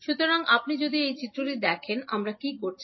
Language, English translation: Bengali, So, if you see this particular figure, what we are doing